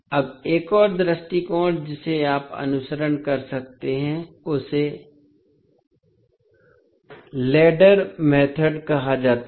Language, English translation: Hindi, Now, another approach which you can follow is called as a ladder method